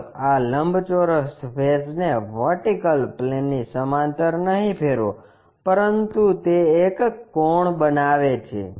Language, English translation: Gujarati, Let us rotate this rectangular face not parallel to vertical plane, but it makes an inclination angle